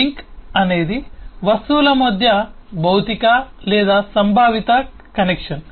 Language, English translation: Telugu, the link is a physical or conceptual connection between objects